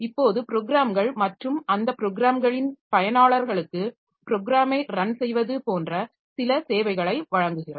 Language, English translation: Tamil, Now, provide certain services to programs and users of those programs like the program has to run